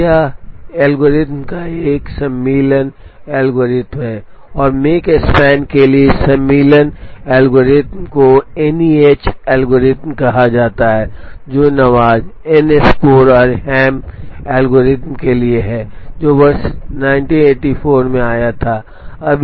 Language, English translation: Hindi, Now, this algorithm is an insertion algorithm and this insertion algorithm for make span is called the NEH algorithm, stands for Nawaz Enscore and Ham algorithm, which came in the year 1984